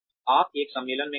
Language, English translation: Hindi, You went on a conference